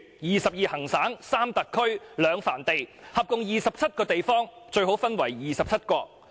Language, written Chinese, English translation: Cantonese, 二十二行省、三特區、兩藩地，合共二十七個地方，最好分為二十七國......, The 22 provinces 3 special regions and 2 vassals totalling 27 places had better become 27 separate states Hunan people have no other choice